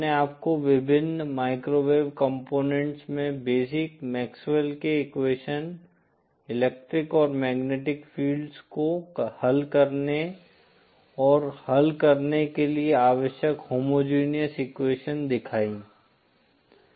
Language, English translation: Hindi, I just showed you the basic MaxwellÕs equation, the homogeneous equation necessary for solving the, solving for the electric and magnetic fields, in the various microwave components